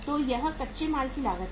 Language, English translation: Hindi, So this is the raw material cost